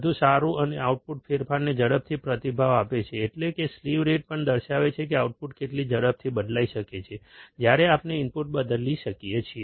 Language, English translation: Gujarati, And output responds faster to the changes, that means, slew rate also shows that how fast the output can change ,when we change the input